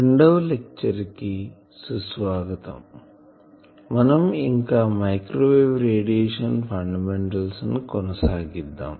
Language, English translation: Telugu, We are still continuing the theme microwave radiation fundamentals